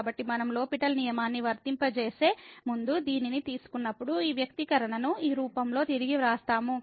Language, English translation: Telugu, So, when we take this when before we applying the L’Hospital rule we just rewrite this expression in this form